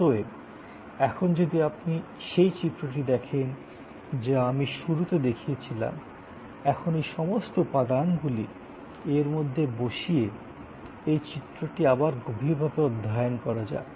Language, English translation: Bengali, Therefore, now if you look at that same diagram that I showed in the beginning, now with all these elements embedded and study this particular diagram in depth